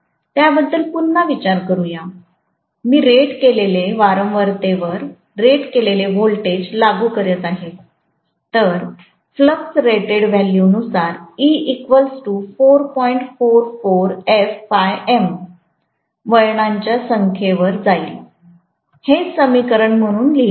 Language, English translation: Marathi, Think about it again, I am applying rated voltage at rated frequency, so the flux will be at rated value, are you getting my point